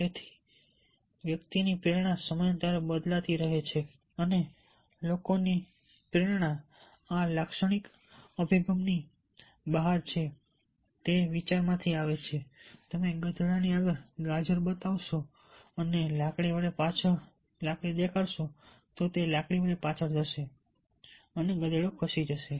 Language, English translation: Gujarati, and motivation of the people beyond this characteristic approach, it comes from the idea: you show the carrot in front of the donkey and job him behind with a stick